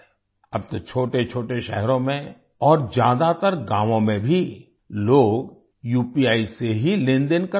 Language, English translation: Hindi, Now, even in small towns and in most villages people are transacting through UPI itself